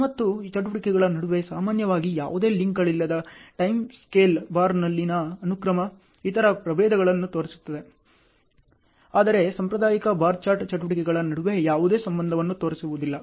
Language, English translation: Kannada, And the sequence on a time scale bar with no links generally shown between the activities, there are other varieties which shows; but the conventional bar chart will not show any relationship between the activities ok